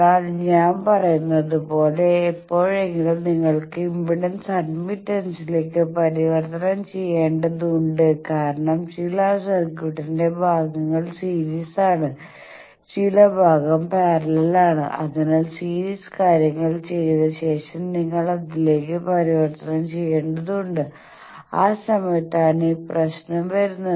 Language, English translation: Malayalam, But as I say that sometime to you need to convert and impedance to admittance because some portion of the circuit is series some portion is parallel so after doing series things you need to convert to that, that time this problem comes